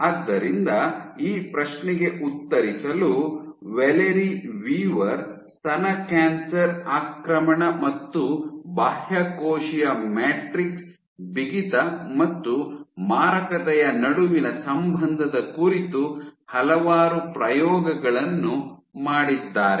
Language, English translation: Kannada, So, to answer this question Valerie Weaver, decided a number of experiments on breast cancer invasion and the relationship between extracellular matrix stiffness and malignancy